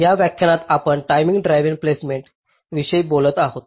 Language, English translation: Marathi, ah, in this lecture we shall be talking about timing driven placement